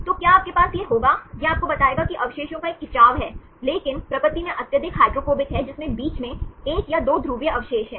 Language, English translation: Hindi, So, will you have this one, this will tell you that there is a stretch of residues, but there highly hydrophobic in nature with one or 2 polar residues in between